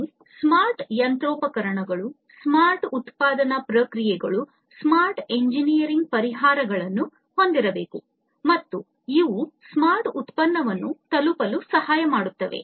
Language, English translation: Kannada, We need to have smart machinery, we need to have smart manufacturing processes, we need to have smart engineering solutions, and these can help in arriving at the smart product